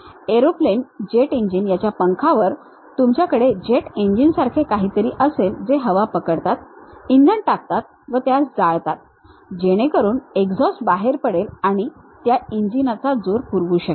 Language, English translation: Marathi, The aeroplanes, the jet engines what you have on the wings, you will have something like jet engines which grab air put a fuel, burn it, so that exhaust will come out and that can supply the thrust of that engine